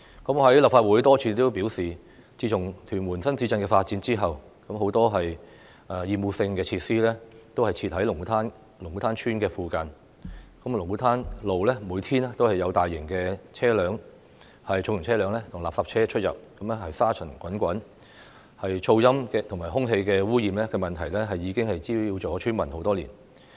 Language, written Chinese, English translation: Cantonese, 我在立法會多次表示，自從屯門新市鎮發展後，很多厭惡性設施都設在龍鼓灘村附近，龍鼓灘路每天都有重型車輛及垃圾車出入，令該處沙塵滾滾，噪音及空氣污染問題，已經滋擾了村民很多年。, I have said repeatedly in the Legislative Council that many obnoxious facilities have been built in the vicinity of Lung Kwu Tan Village since the development of Tuen Mun New Town . Every day heavy vehicles and refuse collection vehicles pass by Lung Kwu Tan Road making the place dusty . The noise and air pollution problems have caused nuisance to the villagers for years